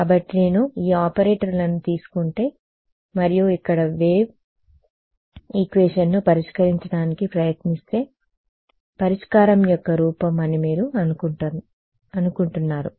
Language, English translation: Telugu, So, if I use if I take these operators and get try to solve wave equation from here do you think the form of the solution